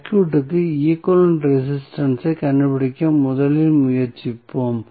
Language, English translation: Tamil, So, we will first try to find out the equivalent resistance of the circuit